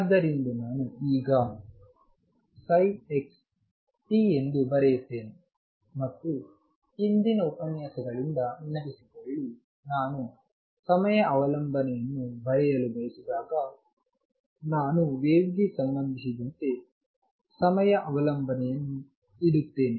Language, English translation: Kannada, So, I am not right now psi x comma t and recall from earlier lectures, that when I want to write the time dependence I will just put in the time dependence as happens for a wave